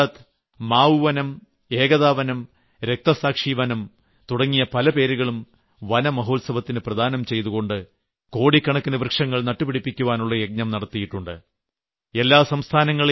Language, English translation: Malayalam, This year Gujarat has undertaken many projects like 'Aamra Van', 'Ekata Van' and 'Shaheed Van' as a part of Van Mahotsav and launched a campaign to plant crores of trees